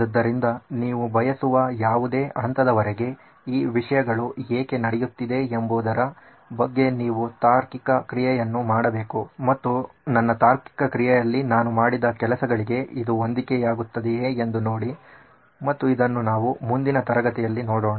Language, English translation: Kannada, So you will have to do the reasoning on why these things are happening up to any level you want and see if it matches up to what I have done in my reasoning and we will see this next class